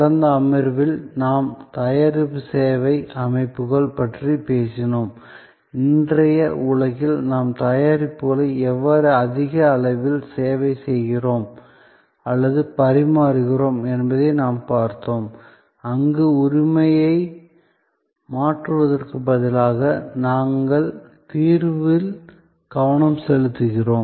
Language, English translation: Tamil, In the last secession, we were talking about product service systems, we looked that how in today’s world we are adopting more and more servicing or servitizing of products, where instead of transfer of ownership, we are focusing on solution and we are loose focusing on the ultimate benefit that the customer wants to derive